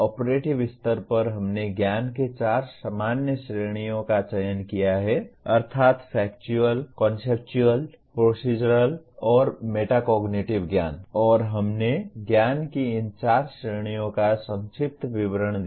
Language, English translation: Hindi, At operative level, we have selected four general categories of knowledge namely Factual, Conceptual, Procedural, and Metacognitive knowledge and we gave a brief overview of these four categories of knowledge